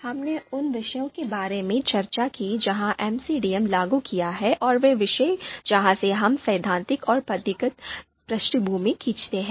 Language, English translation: Hindi, Then, we also discussed the disciplines where MCDM has been applied and the disciplines where we draw theoretical and methodological background